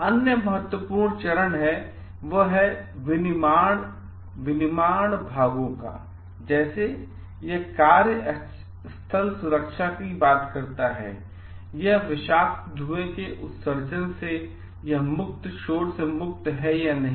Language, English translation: Hindi, Another important phase manufacturing parts like it talks of workplace safety, it is free from noise free from emission of toxic fumes